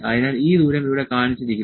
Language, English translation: Malayalam, So, this distance is shown here